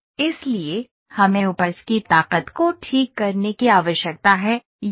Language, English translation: Hindi, So, we need to add fix the yield strength, here